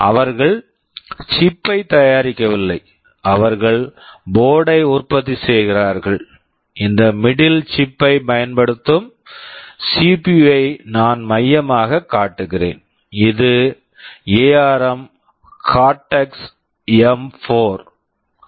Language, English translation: Tamil, They do not manufacture the chip, they manufacture the board, and the CPU that is use this middle chip that I am showing the central one, this is ARM Cortex M4